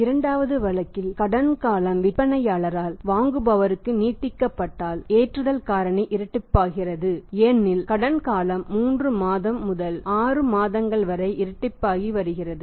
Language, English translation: Tamil, In the second case if the credit period is extended by the seller to the buyer the loading factor becomes double because the credit period is also becoming double from 3 to 6 months